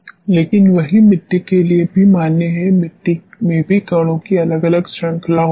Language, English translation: Hindi, But the same is valid for soils also in soils also we have different ranges of the particles